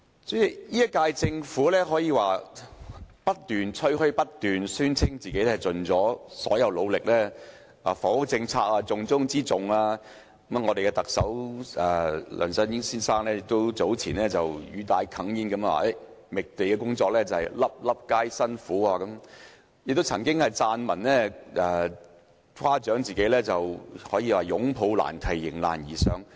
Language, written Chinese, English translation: Cantonese, 主席，這屆政府可說是不斷吹噓，不斷宣稱已盡一切努力、房屋政策是重中之重等；特首梁振英先生早前亦語帶哽咽地說"覓地工作，粒粒皆辛苦"，他亦曾撰文誇獎自己"擁抱難題，迎難而上"。, President the incumbent Government keeps bragging about how hard it has worked and how housing policy is the top priority of the Government and so on . Earlier the Chief Executive Mr LEUNG Chun - ying said with a lump in his throat The work of identifying land is so hard that every inch of land is secured with painstaking efforts . He has also written an article to praise himself for embracing the problems and rising up to challenges